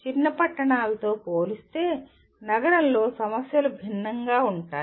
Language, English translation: Telugu, The issues are different in a city compared to smaller towns